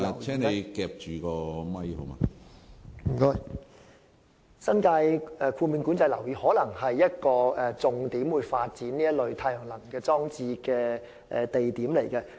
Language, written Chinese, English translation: Cantonese, 新界的豁免管制樓宇，可能會是一個發展太陽能裝置的重點。, President in regard to New Territories exempted houses NTEHs they will probably become a key point for the development of solar energy installations